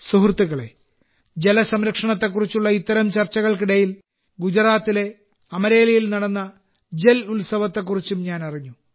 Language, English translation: Malayalam, Friends, amidst such discussions on water conservation; I also came to know about the 'JalUtsav' held in Amreli, Gujarat